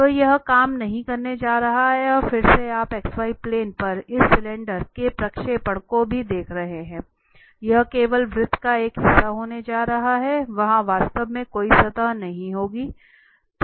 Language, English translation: Hindi, So, this is not going to work and again you are looking at the projection also of this cylinder on the x y plane, this is going to be just a part of the circle there will be no indeed a surface there